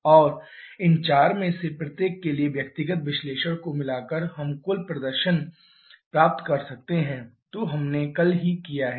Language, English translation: Hindi, And combining the individual analysis for each of these 4 we can get the total cycle performance which we have already done yesterday